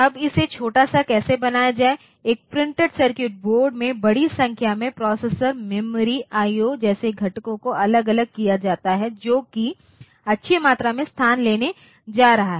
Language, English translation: Hindi, Now how to make this small, like that in the in a printed circuit board if you put a large number of components like the processor, memory, IO, separately then that is going to take a good amount of space